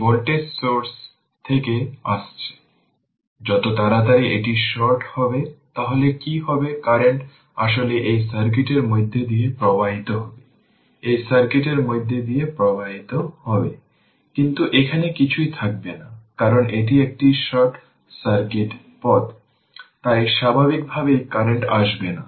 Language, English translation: Bengali, Coming from this voltage source, ah as soon as you short it, so what will happen the current actually ah will flow through this circui[t] will flow through this circuit, but there will be nothing here, because it is a short circuit path, so naturally current will not flow through this, that means, your i y will become 0 right